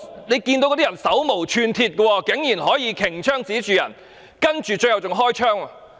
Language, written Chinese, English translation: Cantonese, 那些人手無寸鐵，警員竟然可以擎槍指向對方，最後更加開了槍。, Those people were unarmed yet the police officers could still point their guns at them and even fired a shot in the end